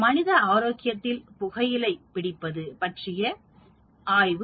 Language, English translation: Tamil, A study of smoking tobacco on human health